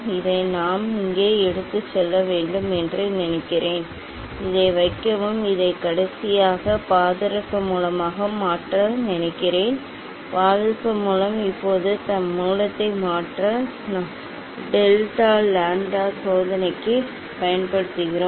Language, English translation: Tamil, I think we have to take it here, yes and place this, I think this is the mercury source in last, yes, mercury source Now, this source we are used for delta lambda experiment